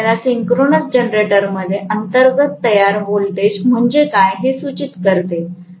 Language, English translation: Marathi, So, this is giving you an indication of what is the internally generated voltage in a synchronous generator right